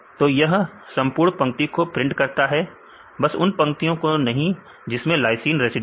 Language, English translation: Hindi, So, if they print the entire line except the lines which contains the lysine